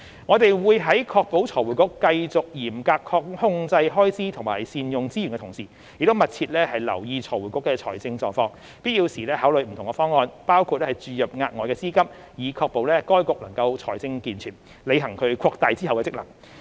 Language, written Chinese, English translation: Cantonese, 我們會在確保財匯局繼續嚴格控制開支及善用資源的同時，亦密切留意財匯局的財政狀況，必要時考慮不同方案，包括注入額外資金，以確保該局財政健全，履行其擴大的職能。, While ensuring that FRC continues to exercise stringent cost control and utilize its resources in an effective manner we will also attend to FRCs financial position and consider different measures as and when necessary including injection of additional funding to ensure its financial competence for performing its expanded functions